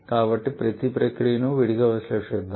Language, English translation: Telugu, So, let us analyze each of the processes separately